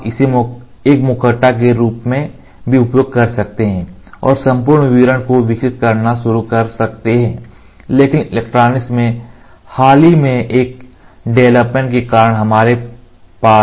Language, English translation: Hindi, You can also use this as a mask and start developing the entire detail, but due to the recent developments in the electronics we have DMDs